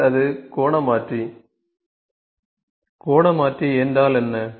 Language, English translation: Tamil, Then it angular converter So, what is angular converter